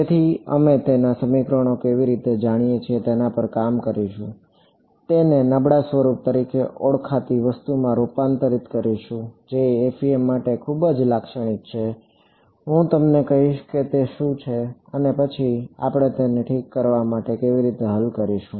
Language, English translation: Gujarati, So, we will work through how do we you know setup the equations, convert it into something called a weak form, which is very characteristic to FEM, I will tell you what that is and then how do we solve it ok